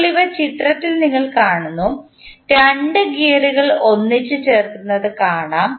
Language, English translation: Malayalam, Now, we see these in the figure, we see 2 gears are coupled together